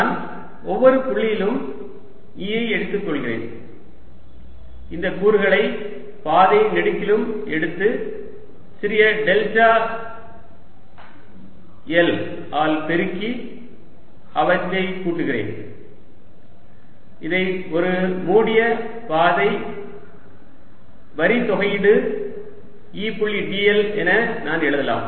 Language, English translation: Tamil, i am taking e at each point, taking this component along the path and multiplying by the small delta l and summing it all around, ok, which i can also write as what is called a line integral over a closed path